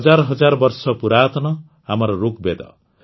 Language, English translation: Odia, Our thousands of years old Rigveda